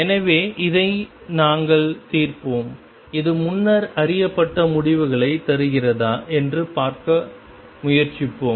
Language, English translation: Tamil, So, we will solve this and try to see if this gives the results that were known earlier